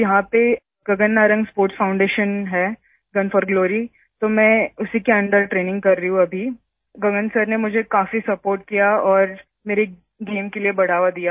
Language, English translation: Hindi, So there's Gagan Narang Sports Foundation, Gun for Glory… I am training under it now… Gagan sir has supported me a lot and encouraged me for my game